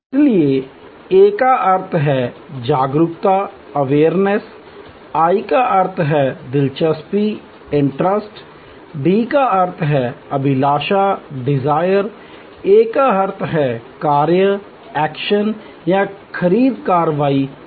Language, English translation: Hindi, So, there A stands for Awareness, I stands for Interest, D stands for Desire and finally, A stands for Action or the purchase action